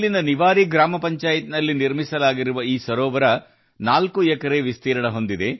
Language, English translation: Kannada, This lake, built in the Niwari Gram Panchayat, is spread over 4 acres